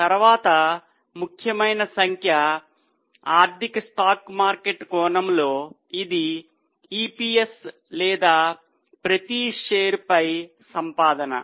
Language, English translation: Telugu, The next is very important figure from financial stock market angle that is EPS or earning per share